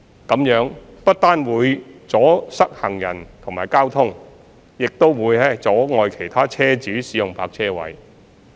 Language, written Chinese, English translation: Cantonese, 這樣不但會阻塞行人及交通，亦會阻礙其他車主使用泊車位。, This will not only obstruct the pedestrian and traffic flow but also hinder other vehicle owners from using the parking spaces